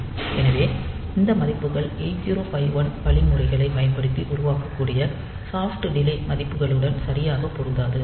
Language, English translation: Tamil, So, those values may not match exactly with the soft delay values that can be produced using these 8051 instructions